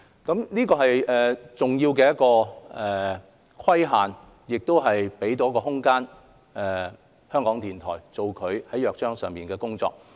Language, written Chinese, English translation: Cantonese, 這是一個重要的規限，亦給港台一個空間做《港台約章》所訂的工作。, This is an important circumscription that sets the stage for RTHKs work under the Charter